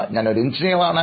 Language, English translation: Malayalam, I am a mechanical engineer